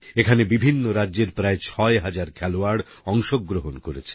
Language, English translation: Bengali, These games had around 6 thousand players from different states participating